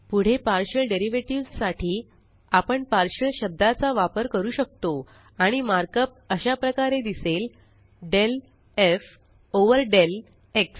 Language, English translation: Marathi, Next, for a partial derivative, we can use the word partial.And the markup looks like: del f over del x